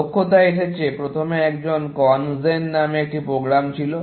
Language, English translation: Bengali, Expertise came in that there was first a program called CONGEN